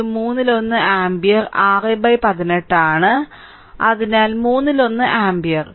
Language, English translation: Malayalam, So, i 1 is equal to one third ampere right is 6 by 18 so, one third ampere